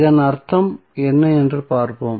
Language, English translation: Tamil, Let us see what does it mean